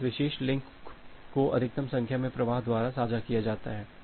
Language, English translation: Hindi, So, this particular link is shared by maximum number of flows